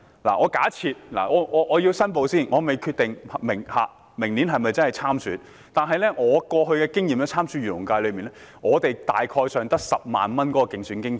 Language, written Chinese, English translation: Cantonese, 讓我先作出申報，我尚未決定明年會否參選，但根據我過去參選漁農界功能界別的經驗，候選人大概只有10萬元競選經費。, Let me make a declaration first . I have not yet decided whether to run in the election next year . But from my past experience in contesting the election of the Agriculture and Fisheries FC the expense limit for a candidate is only about 100,000